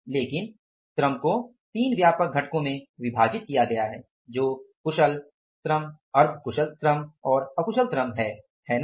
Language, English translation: Hindi, So, you are given the three set of the workers skilled, semi skilled and unskilled